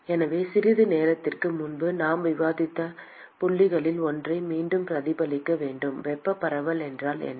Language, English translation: Tamil, So, we should reflect back one of the points that we discussed a short while ago what is meant by thermal diffusion